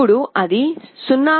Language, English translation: Telugu, Now, it is coming to 0